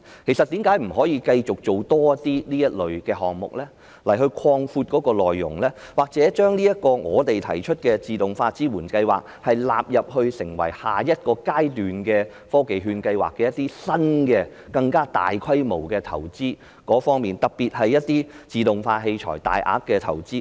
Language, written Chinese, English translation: Cantonese, 其實為甚麼不繼續推出更多這類項目，擴闊其內容，又或把我們提出的自動化支援計劃納入成為下一個階段的科技券計劃，資助更新及更大規模的投資，特別是自動化器材的大額投資？, Why do we not introduce more similar programmes extend the scope or incorporate the automation support scheme into TVP at the next stage so as to subsidize upgraded and large - scale investments in particular large - scale investments in automation equipment?